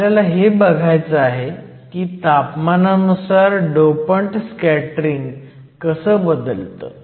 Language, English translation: Marathi, The one thing we have to see is how the dopants scattering changes with temperature